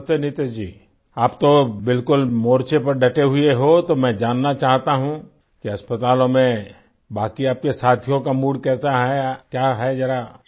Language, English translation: Hindi, Namaste Niteshji, you are right there on the front, so I want to know what is the mood of the rest of your colleagues in the hospitals